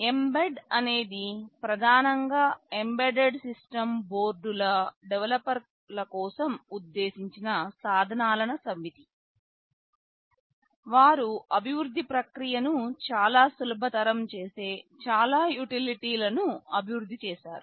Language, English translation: Telugu, Well, mbed is a set of tools that are primarily meant for the developers of embedded system boards; they have developed a lot of utilities that make the process of development very easy